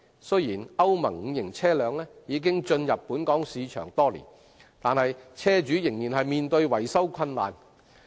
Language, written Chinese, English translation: Cantonese, 雖然歐盟 V 期車輛已進入本港市場多年，但車主仍面對維修困難的問題。, While Euro V vehicles have been available in the local market for many years vehicle owners still face maintenance difficulties